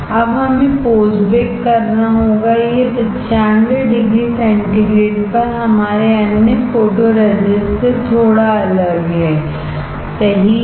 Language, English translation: Hindi, Now, we have to post bake; it this is little bit different than our other photoresist at 95 degree centigrade, right